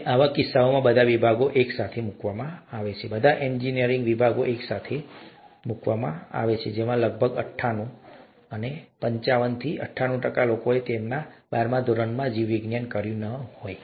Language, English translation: Gujarati, And in the case of, all departments put together, all engineering departments put together, about may be ninety eight, ninety five to ninety eight percent would not have done biology in their twelfth standard